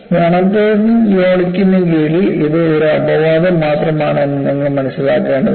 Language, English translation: Malayalam, So you will have to understand under monotonic loading, it is only an exception